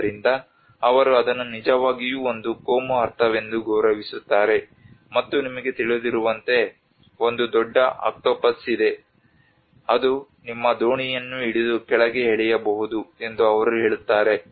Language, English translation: Kannada, So they really respect that as a communal understanding, and that is how they say that you know there is a large octopus which might hold your boat and pull it down